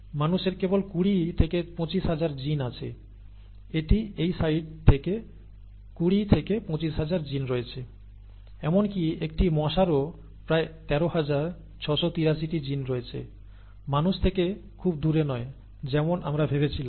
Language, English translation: Bengali, Humans had only 20 to 25 thousand genes, okay, that is from this site 20 to 25 thousand genes whereas even a pesky mosquito has about 13,683 genes, okay, not, not far apart from humans as we thought